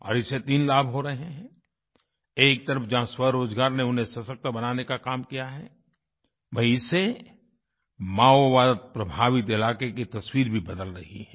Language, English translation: Hindi, This has three benefits on the one hand selfemployment has empowered them; on the other, the Maoist infested region is witnessing a transformation